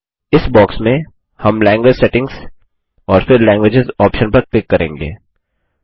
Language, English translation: Hindi, In this box, we will click on Language Settings and then Languages option